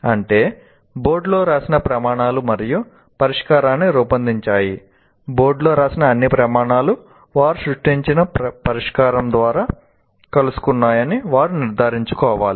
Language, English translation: Telugu, That means the criteria are written on the board and having written the solution, having worked out a solution, they should make sure that the all criteria written on the board and having written the solution, having worked out a solution, they should make sure that all criteria written on the board are met with by the solution created by them